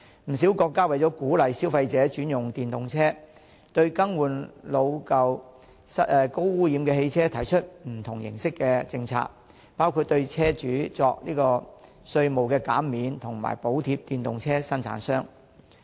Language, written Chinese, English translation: Cantonese, 不少國家為鼓勵消費者轉用電動車，對更換老舊、高污染汽車提出不同形式的政策，包括對車主作稅務減免及為電動車生產商提供補貼。, South Korea even plans to impose a complete ban on the sale of diesel vehicles . With a view to encouraging consumers to switch to EVs many countries have formulated various policies for replacement of old and high - pollution vehicles including giving tax concessions to car owners and allowance to EV manufacturers